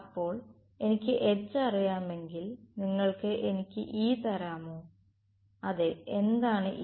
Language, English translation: Malayalam, So, what is if I know H can you give me E yes what is E